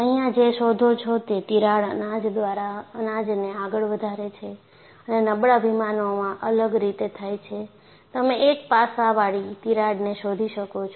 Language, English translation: Gujarati, So, what you find here is, the crack advances grain by grain and the weak planes are different; so, you find a faceted type of crack